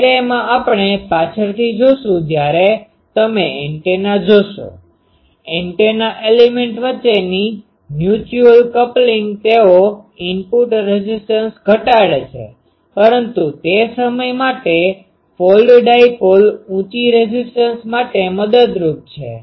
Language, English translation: Gujarati, In an array, we will see later when you see the antenna, the mutual coupling between the antenna elements they decrease the input impedance but folded dipoles higher impedance is helpful that time